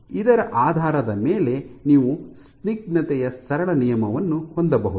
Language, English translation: Kannada, So, based on this you can have the simple law of viscosity